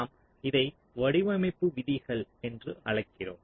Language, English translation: Tamil, so it is something which i have called design rules